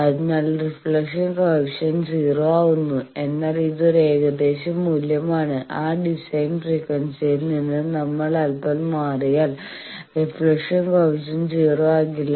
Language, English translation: Malayalam, So, reflection coefficient is 0, but roughly means if we are off a bit off from that design frequency the reflection coefficient is no more 0